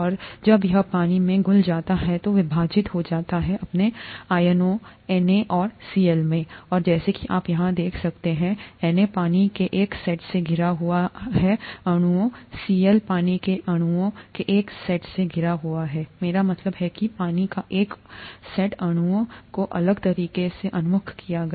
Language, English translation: Hindi, And when it is dissolved in water it splits up into its ions Na and Cl and as you can see here, Na gets surrounded by a set of water molecules, Cl gets surrounded by another set of water molecules I mean another set of water molecules oriented differently